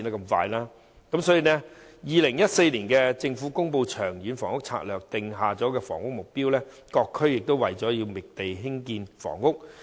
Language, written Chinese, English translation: Cantonese, 政府於2014年公布《長遠房屋策略》，訂下建屋目標，在各區覓地興建房屋。, In 2014 the Government announced the Long Term Housing Strategy to set home production targets and it has set about identifying sites for housing construction in various districts